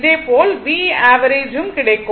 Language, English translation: Tamil, Similarly, you will get V average